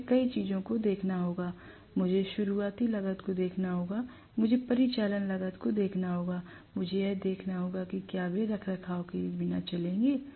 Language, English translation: Hindi, I will have to look at several things, I have to look at initial cost, I have to look at operational cost, I have to look at whether they will run on a maintenance free basis